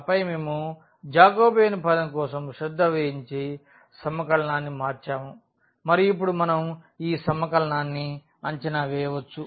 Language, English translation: Telugu, And, then we have change the integral we have taken care for the Jacobian term and now we can evaluate this integral